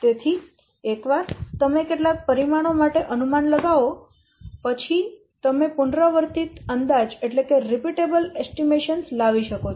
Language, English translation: Gujarati, So, once you estimate for some parameter, you can generate repeatable estimations